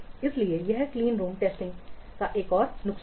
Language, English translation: Hindi, So that is another disadvantage of clinical testing